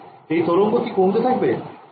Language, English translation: Bengali, Does this wave decay